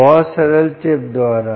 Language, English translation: Hindi, well, very simple, by the chip